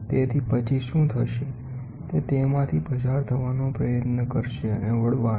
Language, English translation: Gujarati, So, then what will happen is it will try to pass through and bend